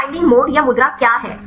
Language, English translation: Hindi, So, what is the binding mode or the pose